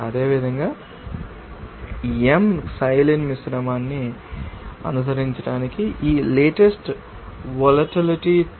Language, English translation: Telugu, Similarly, for following m Xylene mixture, this latest volatility is 2